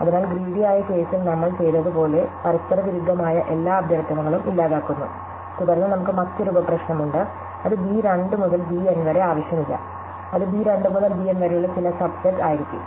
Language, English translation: Malayalam, So, we eliminate all the conflicting requests as we did in the greedy case and then we have another sub problem which is not necessarily b 2 to b N, it will be some subset of b 2 to b N